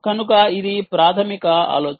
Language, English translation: Telugu, so thats the basic idea